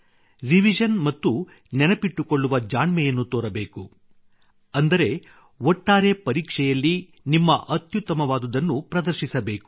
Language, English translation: Kannada, Revision and smart methods of memorization are to be adopted, that is, overall, in these exams, you have to bring out your best